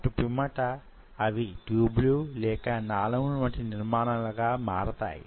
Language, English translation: Telugu, Followed by that they form tube like structures